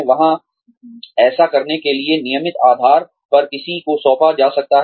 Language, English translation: Hindi, There, somebody could be assigned, to do this, on a regular basis